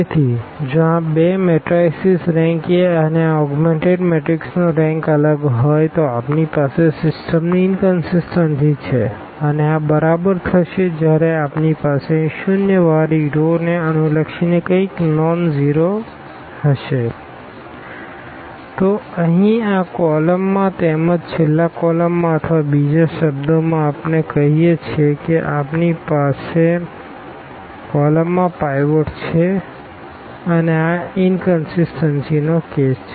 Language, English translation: Gujarati, So, if the rank of these two matrices rank of A and rank of this augmented matrix these are different then we have inconsistency of the system and this will exactly happen when we have these here corresponding to zero rows we have something nonzero, then there will be a pivot element here in this column as well in the last column or in other words we call that we have the pivot in the last column and this is exactly the case of this inconsistency